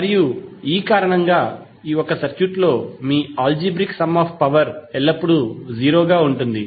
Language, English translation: Telugu, And for this reason your algebraic sum of power in a circuit will always be 0